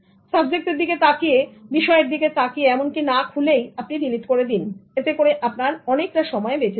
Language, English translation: Bengali, Look at the subject even without opening you delete it it will save so much time